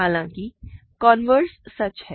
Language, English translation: Hindi, However, the converse is true